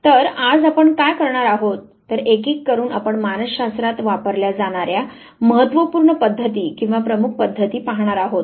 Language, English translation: Marathi, So, what we would do today is one by one we would come across the important methods or the major methods that are used in psychology